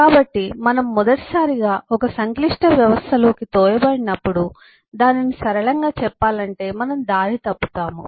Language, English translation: Telugu, so when we are thrown into a complex system for the first time, uh to, to put it in simple terms, we get lost